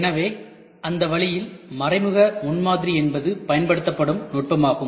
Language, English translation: Tamil, So, in that way indirect prototyping is the technique which is used